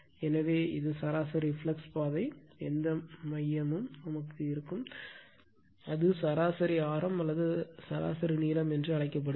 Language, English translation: Tamil, So, and this is you call mean flux path whatever core will take, we will take the your what you call the mean radius or mean length